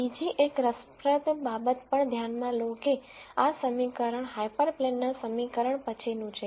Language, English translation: Gujarati, Also notice another interesting thing that this equation is then the equation of the hyperplane